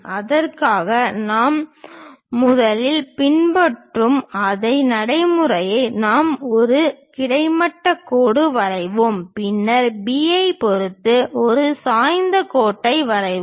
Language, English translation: Tamil, For that the same procedure we will follow first we will draw a horizontal line, then draw an incline line with respect to B we are rotating it